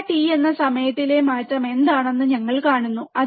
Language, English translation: Malayalam, And then we see this what is the change in time that is delta t